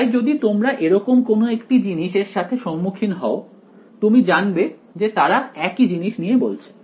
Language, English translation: Bengali, So, you encounter any of these things you know they are talking about the same thing ok